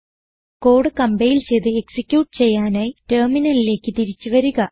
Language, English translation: Malayalam, Coming back to the terminal to compile and execute the code